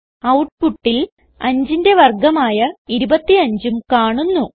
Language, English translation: Malayalam, We see that the output displays the square of 5 that is 25